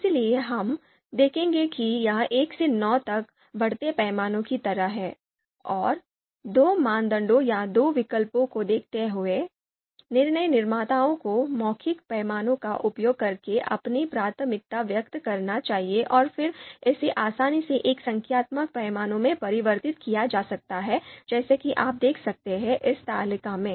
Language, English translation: Hindi, So, we would see it’s a it’s it’s it’s like a you know increasing scale, 1 to 9 scale, and given you know two criteria or two alternatives, decision makers are supposed to express their preference using you know the verbal scale and then you know it is can easily be converted to a numerical scale as you can see in this table